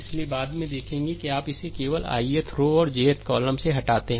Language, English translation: Hindi, So, later we will see that you just strike it of ith throw and jth column